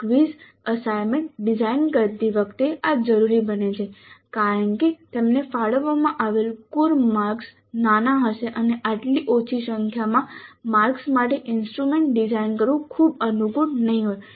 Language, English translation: Gujarati, This becomes necessary when designing quizzes and assignments because the total marks allocated to them would be small and designing an instrument for such a small number of marks may not be very convenient